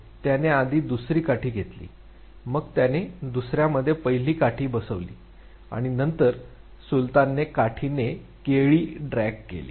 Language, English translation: Marathi, He simply took the first stick second one, he just fixed one in the other and then Sultan drag the banana using the stick